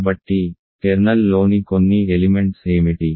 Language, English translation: Telugu, So, what are some elements of the kernel